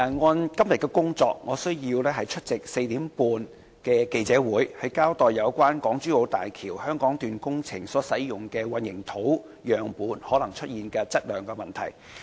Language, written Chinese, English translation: Cantonese, 按照今天的工作，我需要出席下午4時30分舉行的記者會，交代有關港珠澳大橋香港段工程所使用的混凝土樣本可能出現的質量問題。, According to todays work schedule I have to attend a press conference at 4col30 pm to explain the possible quality issues of the concrete samples used for the Hong Kong - Zhuhai - Macao Bridge